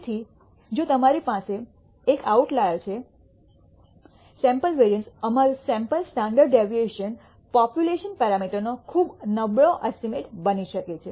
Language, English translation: Gujarati, So, if you have a single outlier, the sample variance, our sample standard deviation can become very poor estimate of the population parameter